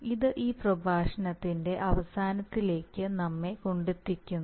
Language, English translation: Malayalam, So this brings us to the end of this lecture